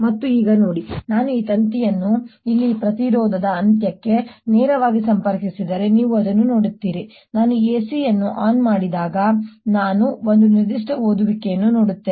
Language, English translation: Kannada, and see now if i connect this wire directly to the end of this resistance here, you will see that i'll see one particular reading when i turn the a c on